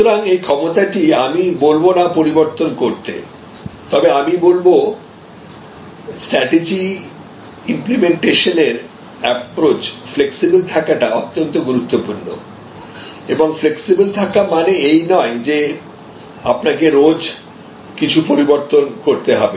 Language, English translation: Bengali, So, this ability to, I would not say modify, but I would say a flexible approach to strategy implementation is very important and flexible does not mean, that you change every other day